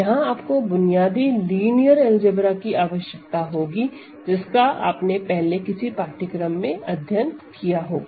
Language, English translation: Hindi, You basic linear algebra that you covered in some earlier course will be required